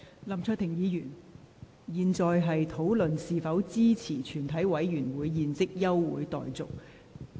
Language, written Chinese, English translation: Cantonese, 林卓廷議員，現在應討論是否支持全體委員會現即休會待續的議案。, Mr LAM Cheuk - ting you should speak on whether you support the motion that further proceedings of the committee be now adjourned